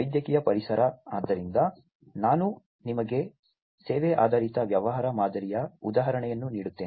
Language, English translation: Kannada, Medical environment, so you know let me just give you an example of it service oriented business model